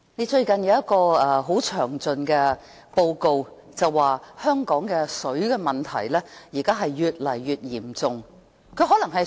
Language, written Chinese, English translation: Cantonese, 最近有一份很詳盡的報告表示，香港的水問題越來越嚴重。, Recently a very exhaustive report shows that the water problem in Hong Kong is getting worse